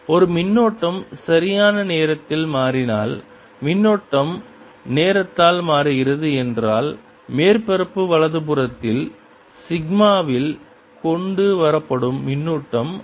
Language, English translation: Tamil, the other way, if the current is changing in time, if a current is changing in time, then the charge that is brought in the sigma on the surface right will also change